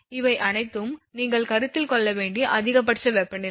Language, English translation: Tamil, All these things you have to consider one is that maximum temperature